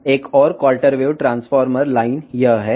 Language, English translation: Telugu, The, another quarter wave transformation line is this